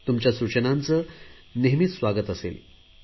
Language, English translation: Marathi, Your suggestions are always welcome